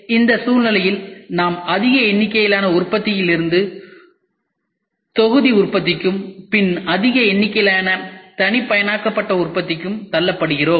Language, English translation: Tamil, So, in this scenario we are pushed from mass production to batch production to mass customised production